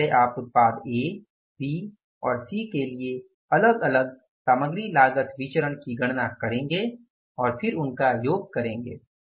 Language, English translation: Hindi, First you will calculate the material cost variance for the product A, B and C individually and then sum them up